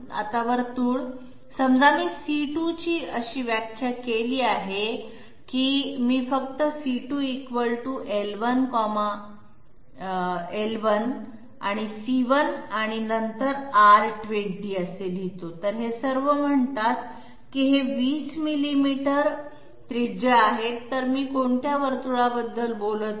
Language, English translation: Marathi, Now the circle suppose I define as C2 equal to and suppose I write simply say L1 C1 and then R20, so all these say they are of 20 millimeters radius, so which circle would I be talking about